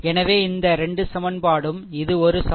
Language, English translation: Tamil, So, these 2 equation this is one equation i 2 plus 5 is equal to 2